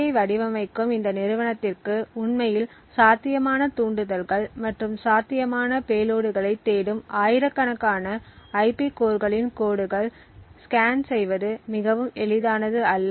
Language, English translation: Tamil, Now the company which is actually designing this IC it would not be very easy for them to actually scan through thousands of lines of IP cores looking for potential triggers and potential payloads that may be present